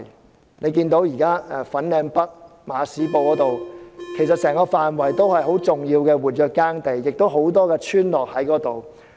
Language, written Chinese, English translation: Cantonese, 大家可以看到現時整個粉嶺北馬屎埔的範圍也是重要的活躍耕地，亦有多個村落在那裏。, Members can see that the entire area in Ma Shi Po Village in Fanling is mainly active farmland and includes a number of villages